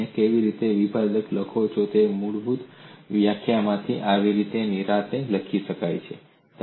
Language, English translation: Gujarati, And these could be written comfortably, from the basic definition of how do you write differentials